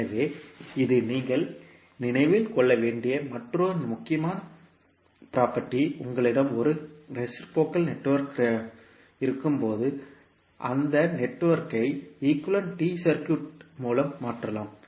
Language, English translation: Tamil, So, this is another important property which you have to keep in mind and when you have a reciprocal network, you can replace that network by an equivalent T circuit